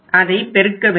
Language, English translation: Tamil, You can multiply this